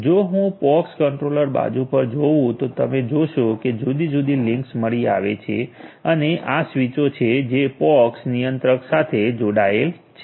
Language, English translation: Gujarati, If I go up at the pox controller side you will see that links different links are detected and these are the switches which are connected to the POX controller